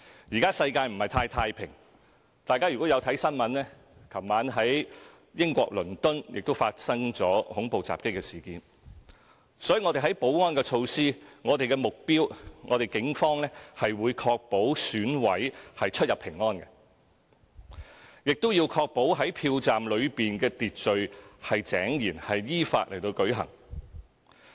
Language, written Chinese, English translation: Cantonese, 現在世界不是很太平，大家有看新聞的話，都會看到昨晚在英國倫敦發生了恐怖襲擊的事件，所以我們在保安措施方面，警方的目標是確保選委可以出入平安，亦要確保票站內秩序井然，選舉依法舉行。, Our world is not particularly peaceful today . If Members have watched the news they may have learned about the terrorist attack in London of the United Kingdom last night . Hence as regards security measures the Polices aim is to ensure the safety of all EC members as they enter and exit the polling station and maintain order in the polling station so that the Election will be conducted in accordance with law